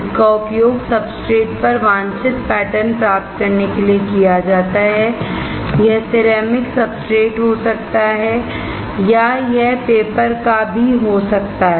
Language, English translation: Hindi, It is obtained to it is used to obtain desired patterns right on the substrate it can be ceramic substrate it can be paper as well right